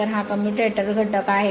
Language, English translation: Marathi, So, this is commutator component